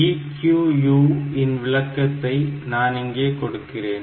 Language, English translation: Tamil, So, I can have this EQU type of definition